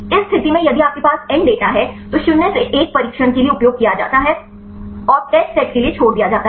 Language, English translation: Hindi, In this case if you have n data n minus 1 are used for the training and the left out is used for the test